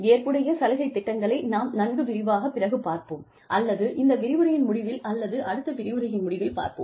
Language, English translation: Tamil, Flexible benefits program is something, we will talk about in a greater detail, some other time, or maybe towards the end of this lecture, or maybe the end of next lecture